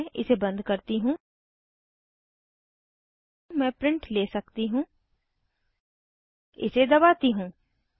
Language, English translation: Hindi, If you close this, I can take a printout ,press this